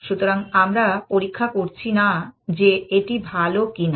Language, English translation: Bengali, So, we are not checking whether it is better or not